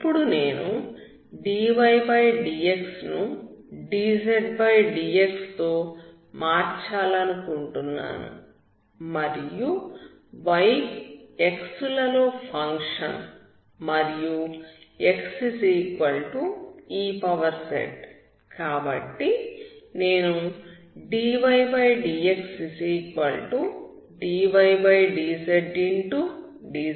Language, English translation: Telugu, Now I want to replace dydx with dzdx and since y is a function of x and x is a function of ( x=ez), therefore I can write dx=dydz